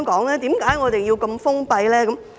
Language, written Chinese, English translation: Cantonese, 為何我們要如此封閉呢？, Why do we have to close the door?